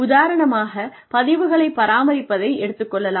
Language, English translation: Tamil, For example, maintenance of records